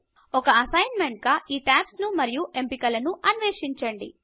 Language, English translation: Telugu, As an assignment, explore these tabs and the options, therein